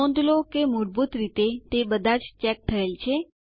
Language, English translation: Gujarati, Notice that, by default, all of them are checked